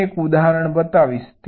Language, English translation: Gujarati, this is our example